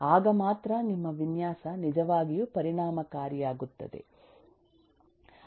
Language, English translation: Kannada, only then your design would become really effective